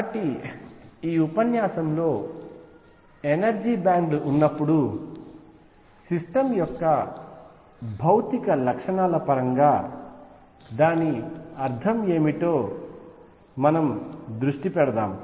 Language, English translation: Telugu, So, in this lecture let us focus on what does it mean in terms of physical properties of a system, when there are energy bands